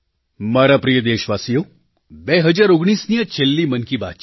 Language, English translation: Gujarati, My dear countrymen, this is the final episode of "Man ki Baat" in 2019